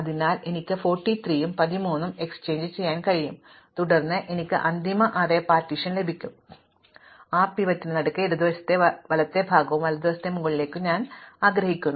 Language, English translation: Malayalam, So, I can exchange the 43 and 13 and then I get the final array partitioned as I want with the pivot in the middle, the lower part on the left and upper part on the right